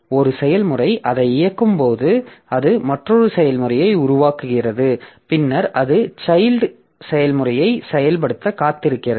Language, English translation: Tamil, So, maybe one process when it is executing it creates another process and then it waits for the execution of the child process